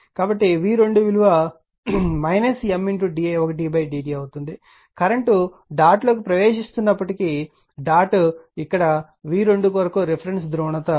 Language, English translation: Telugu, So, v 2 will be minus M into d i1 upon d t; this is that the current all though current is entering into the dot, but dot is here a reference polarity for v 2 that is minus